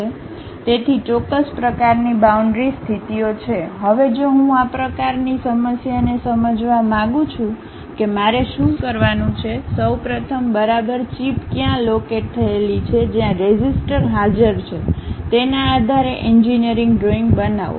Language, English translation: Gujarati, So, certain kind of boundary conditions are there; now, if I would like to understand such kind of problem what I have to do is, first of all construct an engineering drawing based on where exactly chip is located, where resistor is present